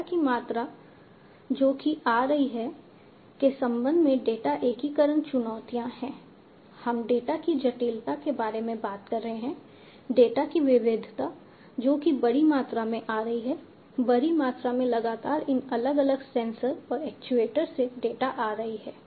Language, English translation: Hindi, There are data integration challenges, data integration challenges with respect to the volume of data, that is coming in, we are talking about the complexity of the data, the variety of data, that is coming in, a huge volumes, in large velocities continuously these data is coming from these different sensors and actuators